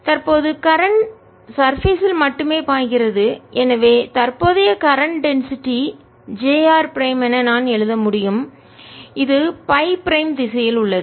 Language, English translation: Tamil, the current flows only on the surface and therefore i can write current density, j r prime, which is in the phi prime direction